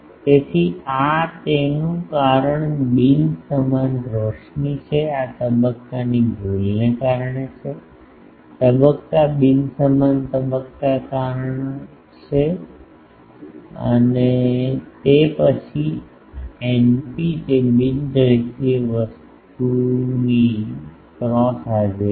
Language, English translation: Gujarati, So, this is due to this is due to non uniform illumination, this is due to phase error, due to phase non uniform phase and then eta p it is the cross pole presence of non linear thing